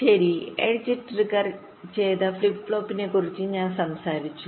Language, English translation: Malayalam, well, i talked about edge trigged flip flop